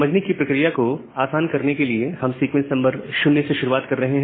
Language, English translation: Hindi, So, just for simplicity of explanation we are starting with sequence number 0